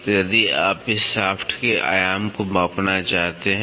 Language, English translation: Hindi, So, if you want to measure the dimension of this shaft